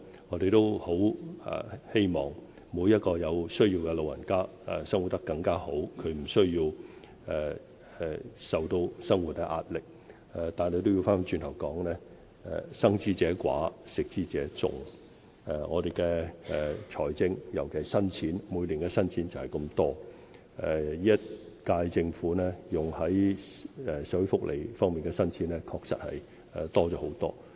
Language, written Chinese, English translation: Cantonese, 我們也很希望每個有需要的老人家可以生活得更好，無需受到生活壓力，但話說回來，"生之者寡，食之者眾"，我們的財政資源就是這麼多，而本屆政府投放於社會福利方面的新錢確實已增加了很多。, We also hope that every elderly person in need of help can live better and do not have to face any livelihood pressure . That said as consumers are many but producers few our financial resources in particular new money each year is limited and the incumbent Government has already substantially increased the amount of new money for social welfare services